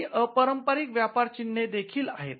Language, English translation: Marathi, There are also some unconventional trademarks